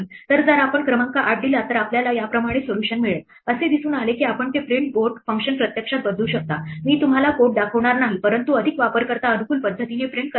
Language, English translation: Marathi, So, if we give the number 8 then we will get one solution like this the it turns out that you can actually change that print board function i would not show you the code, but to print it out in a more user friendly way